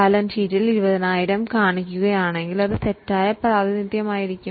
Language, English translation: Malayalam, If in the balance sheet we continue to show 20,000, it will be a wrong representation